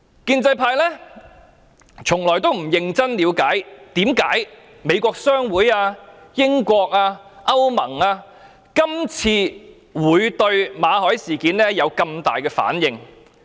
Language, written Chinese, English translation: Cantonese, 建制派從來沒有認真了解為何美國商會、英國、歐盟這次會對馬凱事件有這麼大的反應。, The pro - establishment camp has never seriously tried to understand why the American Chamber of Commerce the United Kingdom and the European Union have reacted so strongly to the MALLET incident